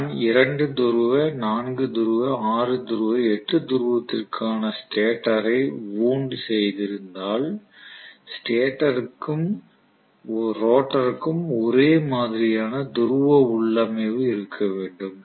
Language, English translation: Tamil, If I have wound the stator for 2 pole, 4 pole, 6 pole, 8 pole whatever configuration I have to have similar pole configuration for the stator as well as rotor